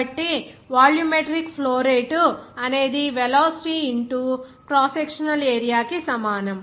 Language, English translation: Telugu, So, volumetric flow rate will be is equal to velocity into the cross sectional area